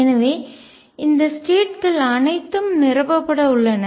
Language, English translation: Tamil, So, all these states are going to be filled